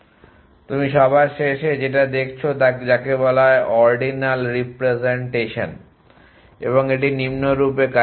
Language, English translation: Bengali, So, the last one that you on look at is called ordinal representation and it work as follows